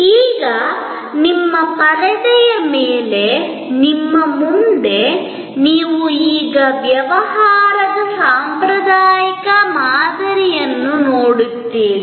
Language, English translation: Kannada, Now, on your screen in front of you, you now see the traditional model of business